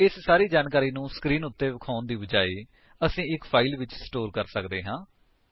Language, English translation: Punjabi, Instead of just displaying all these information on the screen, we may store it in a file